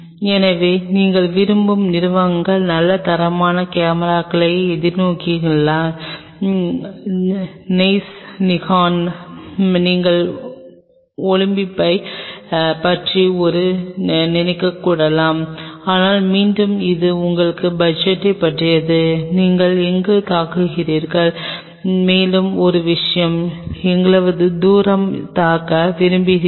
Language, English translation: Tamil, So, the companies which you may like to you know look forward for good quality cameras will be Zeiss Nikon, you may even think of Olympus, but again it is all about your budget where you are hitting upon and how far you want to hit on this, and one more thing